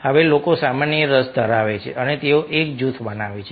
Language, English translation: Gujarati, now people are having common interest, they form a group